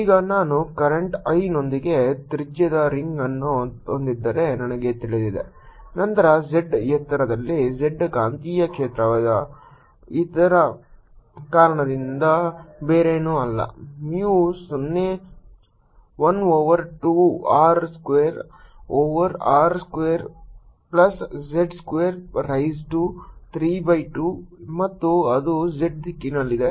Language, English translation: Kannada, now i know, if i have a ring of radius r with current i, then at height z the magnetic field due to this is nothing but mu zero i over two r square over r square plus z square raise to three by two and it's in the z direction